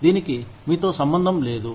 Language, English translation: Telugu, It has nothing to do with you